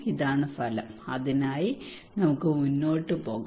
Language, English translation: Malayalam, This is the outcome, and we can go ahead for that